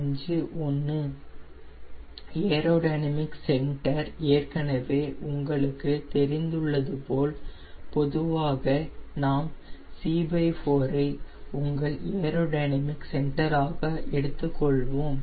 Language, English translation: Tamil, as you know, for aero dynamic centre we will usually take c by four as your aero dynamic centre